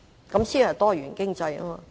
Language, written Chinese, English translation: Cantonese, 這才是多元經濟。, That is what a diversified economy should be